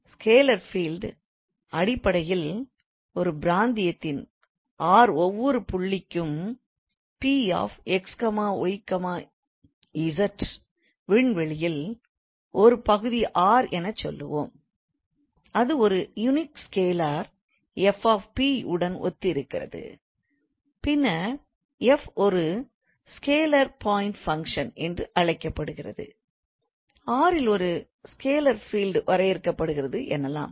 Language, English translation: Tamil, So, scalar field is basically, so if to each point, p x, y, z of a region r, let's say, of a region r let's say of a region r in space there corresponds a unique scalar f of p then f say that a scalar, a scalar, a scalar field F is defined on R, right